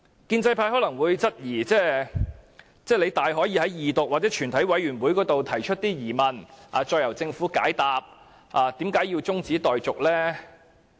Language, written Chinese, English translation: Cantonese, 建制派可能會質疑，說我們大可以在二讀或全體委員會階段提出疑問，再由政府解答，為何我們要中止待續呢？, Pro - establishment Members may query why we want the debate to be adjourned as we may put questions to the Government in the Second Reading debate or at the Committee stage . Let us be realistic